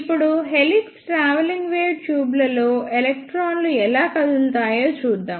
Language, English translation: Telugu, Now, let us see applications of helix travelling wave tubes